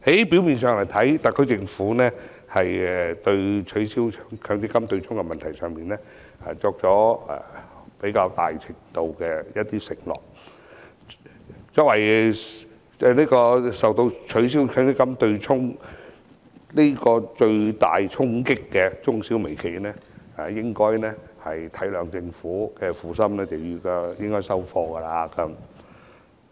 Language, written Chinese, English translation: Cantonese, 表面上，特區政府對取消強積金對沖的問題作出較大程度的承諾。作為受到取消強積金對沖最大衝擊的中小微企，應該體諒政府的苦心接受方案。, On the surface the SAR Government seems to be making a bigger commitment in abolishing the offsetting arrangement under the MPF System and MSMEs which bear the brunt of the abolition should appreciate the Governments painstaking effort and accept the proposal